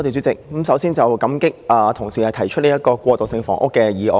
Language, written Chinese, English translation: Cantonese, 首先，感激同事提出這項關於過渡性房屋的議案。, Firstly I am grateful for our colleague in moving this motion on transitional housing